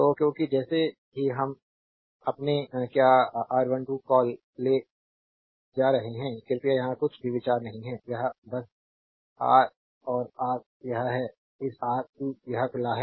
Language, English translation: Hindi, So, because as soon as you are taking your what you call R 1 2, please do not consider anything here, it is simply Ra and Rc it is this Rc it is open